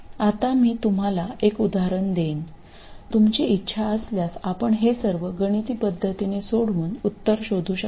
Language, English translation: Marathi, Now, I will just give you an illustration if you want, you can solve for this numerically and find the solution